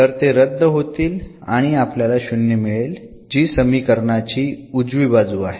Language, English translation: Marathi, So, that will cancel out and the we will get the 0 which is the right hand side of the equation